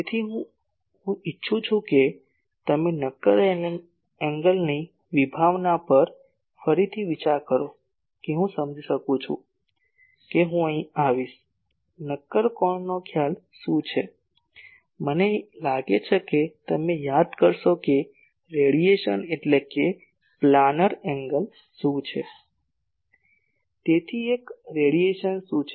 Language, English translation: Gujarati, That is why I want you to get revisited to the concept of solid angle to understand that I will come to here , what is the concept of a solid angle I think you remember what is a planar angle that is a radian